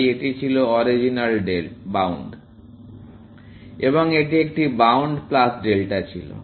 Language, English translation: Bengali, So this was the original bound, and this was a bound plus delta